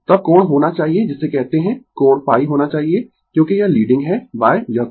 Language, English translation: Hindi, Then angle should be your what you call angle should be phi because it is leading by this angle phi